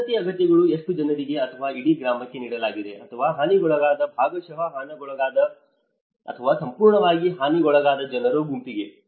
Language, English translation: Kannada, Housing needs, how many people or given for the whole village or only a set of people who got damaged, partially damaged, or fully damaged